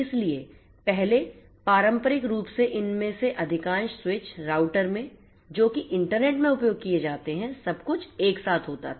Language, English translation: Hindi, So, earlier traditionally in most of these switches, routers that are used in the internet conventionally used to have everything together